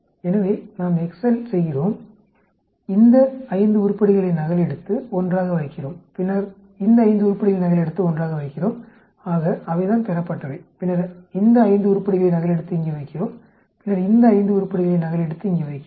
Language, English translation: Tamil, So we do the Excel,copy these 5 items we put them together and then we copy these 5 items and put them together so that is the observed and then we copy these 5 items and put them here and then we copy these 5 items put them here